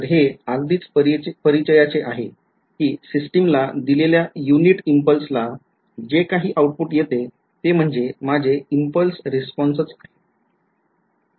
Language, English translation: Marathi, So, this is something very very familiar right given unit impulse to the system whatever I get as the output is my impulse response